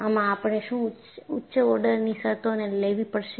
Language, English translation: Gujarati, Or, do we have to take higher order terms